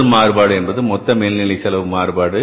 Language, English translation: Tamil, First one is a total overhead cost variance